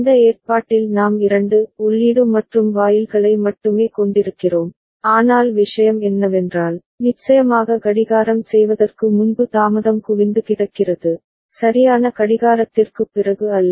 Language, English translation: Tamil, And this arrangement only we are having 2 input AND gates, but the thing is that there is accumulation of delay before clocking of course, right not after clocking right